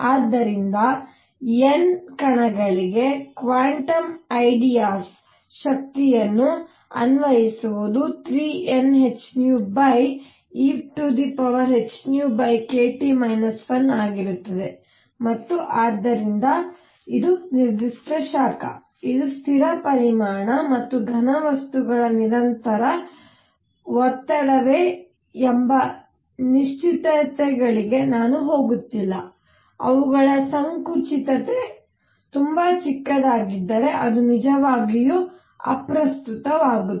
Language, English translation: Kannada, So, we found applying quantum ideas energy for N particles is going to be 3 N h nu over e raise to h nu over k T minus 1 and therefore, specific heat; I am not going to the certainties of whether it is constant volume or constant pressure for solids, it does not really matter if their compressibility is very small